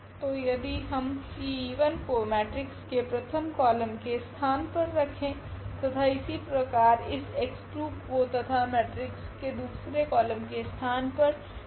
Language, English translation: Hindi, So, T e 1 if we place as a first column in our matrix and similarly this x 2 and then this T e 2 placed in the matrices second column